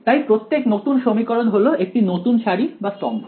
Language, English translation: Bengali, So, every new equation is a new row or column